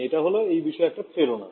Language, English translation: Bengali, So this is the motivation for it